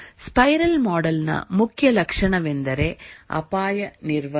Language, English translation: Kannada, The main feature of the spiral model is risk handling